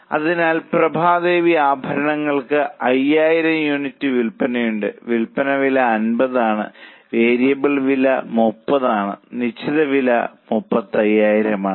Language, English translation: Malayalam, So, Prabha Devi ornaments, they have sales of 5,000 units, sale price is 50, variable cost is 30, fixed cost is 35,000